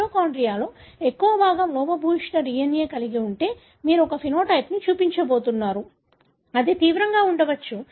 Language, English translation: Telugu, If majority of the mitochondria has got defective DNA, you are going to show a phenotype, which could be severe